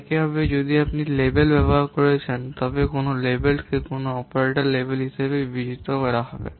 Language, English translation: Bengali, Similarly, if you are using labels, a label is also considered as an operator